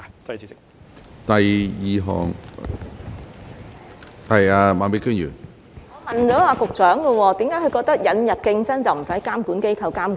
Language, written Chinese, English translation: Cantonese, 我是問局長，為何他認為引入競爭便無須由監管機構作出監管？, My question for the Secretary is Why does he consider that no regulation by the regulatory authorities is necessary after the introduction of competition?